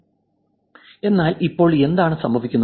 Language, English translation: Malayalam, So, what happens now